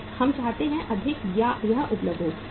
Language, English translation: Hindi, More we want, more it is available